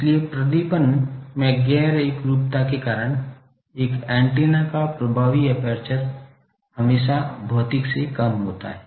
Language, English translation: Hindi, So, because of the non uniformness in the illumination, the effective aperture of a aperture antenna is always less than the physical one